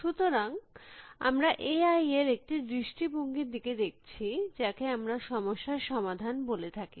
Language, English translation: Bengali, So, we are looking at one aspect of A I, which we will call as problem solving